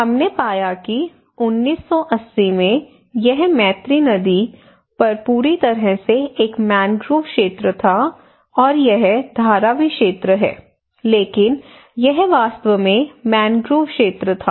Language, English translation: Hindi, What we found that in 1980 it was a mangrove area totally on Mithi river, that is the road, and this is the Dharavi area, but it was actually a mangrove areas